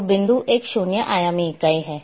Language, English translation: Hindi, So, point is a zero dimensional entity